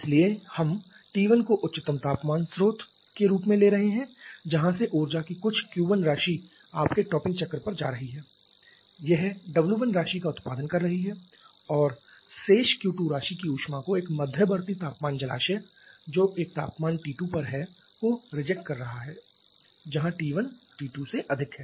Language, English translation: Hindi, So, we are having T 1 as the highest temperature source from where some Q 1 amount of energy is going to you are topping cycle it is producing w 1 amount of work and rejecting the remaining Q 2 amount of heat to an intermediate temperature reservoir which is a temperature T 2 where T 1 is greater than T 2